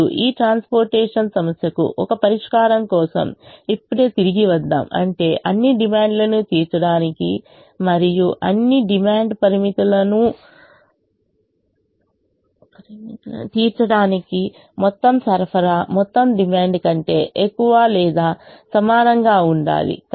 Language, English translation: Telugu, for this transportation problem to have a solution, which means for us to meet all the demands and satisfy all the demand constraints, the total supply should be greater than or equal to the total demand